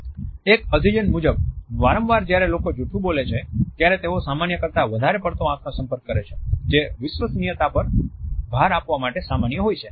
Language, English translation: Gujarati, A studies tell us that often when people lie that tend to over gaze engaging in more eye contact then what is perceived to be normal in order to emphasize the trustworthiness